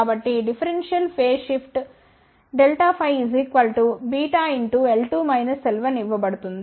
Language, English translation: Telugu, So, the differential phase shift is given by beta times l 2 minus l 1